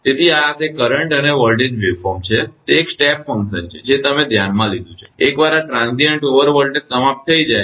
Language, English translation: Gujarati, So, this is that current and voltage waveform right, it is a step function you have considered, once this transient over voltage is over